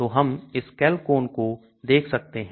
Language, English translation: Hindi, So we can look at this Chalcone